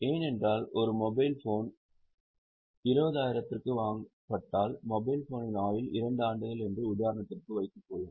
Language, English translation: Tamil, Because if a particular, let us say example of mobile phone, if a mobile phone is purchased for 20,000, it has a life for two years